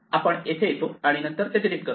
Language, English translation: Marathi, So, we come here and then we delete it